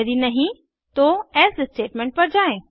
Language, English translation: Hindi, If not, it will go to the else statement